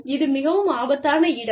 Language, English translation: Tamil, This is a very dangerous place